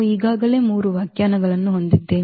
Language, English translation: Kannada, So, we have already 3 definitions so far